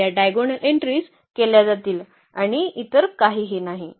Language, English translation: Marathi, So, these diagonal entries will be powered and nothing else